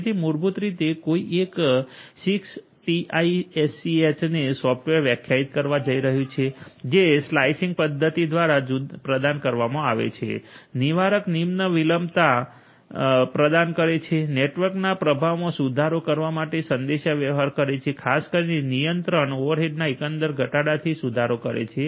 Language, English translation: Gujarati, So, basically holistically one is going to have software defined 6TiSCH providing through the slicing mechanism, providing deterministic low latency, communication for improving the performance of the network, particularly from a control overall reduction of control over head and so on